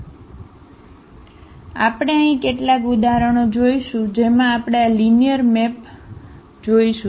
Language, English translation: Gujarati, So, we go through some of the examples where we do see this linear maps